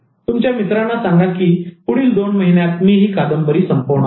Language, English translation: Marathi, Tell your friends that I'm going to finish this novel in the next two years